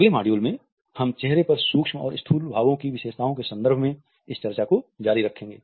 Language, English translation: Hindi, In our next module we would continue this discussion by looking at micro and macro expressions on our facial features